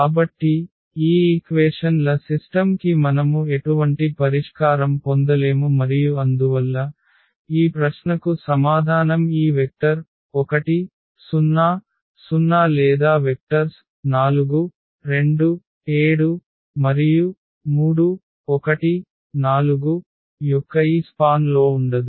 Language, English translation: Telugu, So, we cannot get any solution of this given a system of equations and therefore, the answer to this question is that this vector 1, 0, 0 or does not lie in this span of the vectors 4, 2, 7 and 3, 2, 4